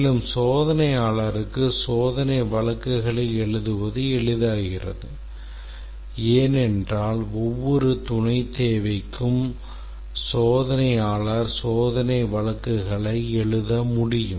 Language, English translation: Tamil, Also, it becomes easier for the tester to write test cases because for every sub requirement the tester can write test cases